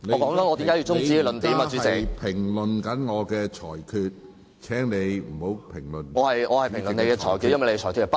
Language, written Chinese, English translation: Cantonese, 許智峯議員，你正在評論我的裁決，請你不要評論主席的裁決。, Mr HUI Chi - fung you are commenting on my ruling . Please do not comment on the Presidents ruling